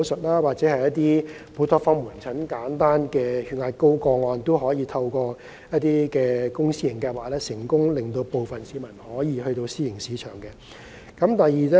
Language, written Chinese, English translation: Cantonese, 某些門診服務，例如高血壓個案，可以透過公私營合作計劃，令部分市民轉向私營醫療機構尋求醫療服務。, Some outpatient services such as hypertension cases can be provided by the private sector through public - private partnership so that some members of the public can seek medical services from the private sector